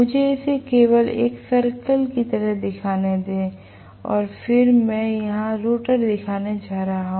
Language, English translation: Hindi, Let me just show it like this a circle and then I am going to show the rotor here